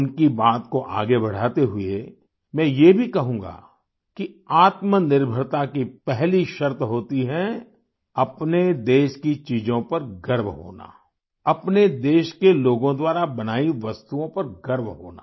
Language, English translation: Hindi, Furthering what he has said, I too would say that the first condition for selfreliance is to have pride in the things of one's own country; to take pride in the things made by people of one's own country